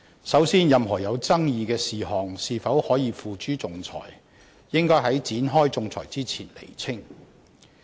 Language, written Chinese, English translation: Cantonese, 首先，任何有爭議的事項是否可以付諸仲裁，應該在展開仲裁之前釐清。, First of all arbitrability of the subject matter of a dispute ought to be clear before the commencement of arbitration